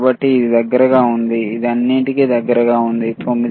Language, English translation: Telugu, So, it is close it is close all, right 9